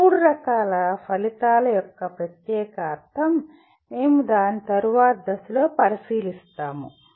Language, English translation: Telugu, The particular meaning of these three types of outcomes, we will look at it at a later stage